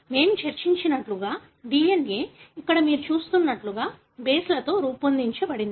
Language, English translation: Telugu, So as we discussed, the DNA is made up of bases like what you see here